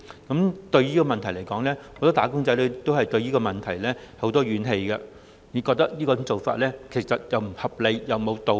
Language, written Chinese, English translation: Cantonese, 很多"打工仔女"對此存有很多怨氣，覺得這種做法既不合理亦無道理。, As such many wage earners hold grievances against MPF thinking that the manner in which MPF is conducted is unreasonable and unjustifiable